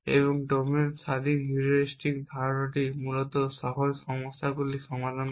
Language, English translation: Bengali, And the idea of domain independent heuristic is to solve simpler problems essentially